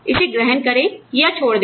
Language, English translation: Hindi, Take it, or leave it